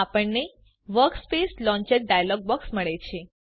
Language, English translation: Gujarati, We have the Workspace Launcher dialog box